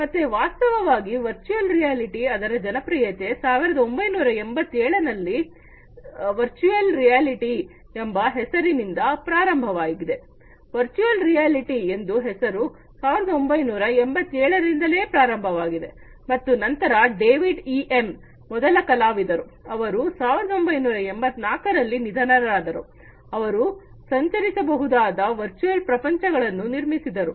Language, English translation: Kannada, So, actually the virtual reality the popularity of virtual reality started with this term in 1987, the virtual reality term started in the 1987 and then David EM was the first artist, you know, who died in 1984, he produced the navigable virtual worlds